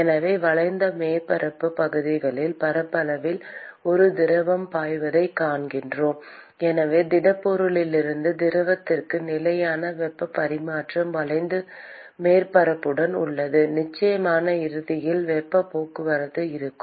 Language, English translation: Tamil, So, along the curved surface areas area, we see that there is a fluid which is flowing and therefore, there is constant heat exchange from the solid to the fluid along the curved surface area and of course there will be heat transport from the end also